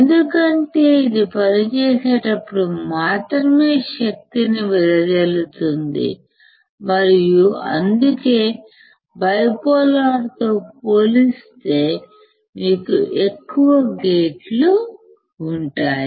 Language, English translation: Telugu, Because only when it operates then only the power is dissipated and that is why you can have more gates compared to bipolar NMOS